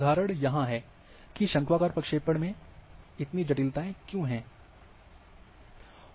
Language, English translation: Hindi, Examples are here, that why these complications are there with conical projections